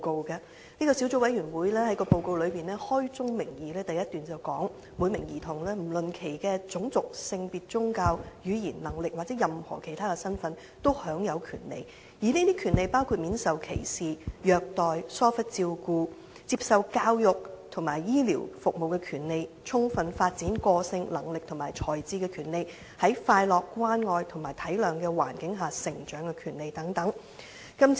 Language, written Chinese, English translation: Cantonese, 該小組委員會在報告首段開宗明義指出："每名兒童，不論其種族、性別、宗教、語言、能力或任何其他身份，都享有權利......這些權利包括免受歧視、虐待及疏忽照顧的權利；接受教育及醫療等服務的權利；充分發展個性、能力和才智的權利；在快樂、關愛和體諒的環境下成長的權利等"。, The Subcommittee stated at the outset in the first paragraph of the report Every child has rights whatever their ethnicity gender religion language abilities or any other status These rights include the right to be protected against discrimination abuse and gross neglect the right to have access to services such as education and health care the right to develop their personalities abilities and talents to the fullest potential the right to grow up in an environment of happiness love and understanding etc